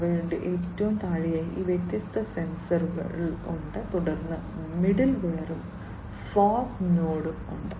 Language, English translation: Malayalam, They have all these different sensors at the very bottom, then there is the middleware and the fog node